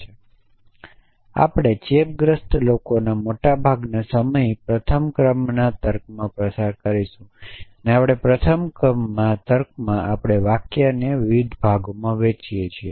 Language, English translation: Gujarati, And we will infects spend most of our time in first order logic; in first order logic we break up a sentence into parts